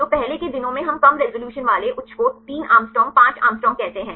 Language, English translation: Hindi, So, earlier days we get with the high with lower resolution say 3 Å 5 Å